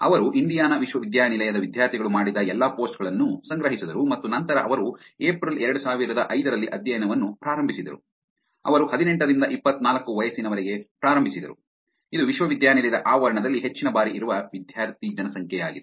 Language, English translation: Kannada, Which is they collected all the posts done by students of Indiana university and then they launched the study in April 2005, they launched for the age group between 18 and 24 which is the student population in campus most of the times